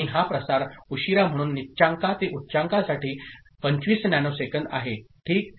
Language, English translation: Marathi, And this propagation delay, so low to high 25 nanosecond ok